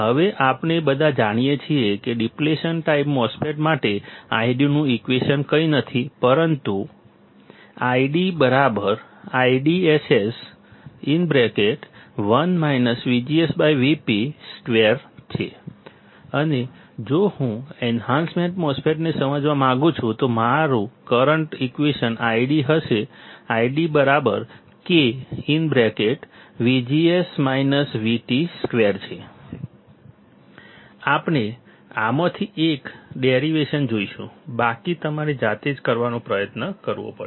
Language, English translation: Gujarati, Now we all know that the I D formula for the depletion type MOSFET is nothing, but I D equals to I DSS 1 minus V G S by V p whole square and if I want to understand enhancement type MOSFET then, my current formula I D will be I D equals to K times V G S minus V T whole square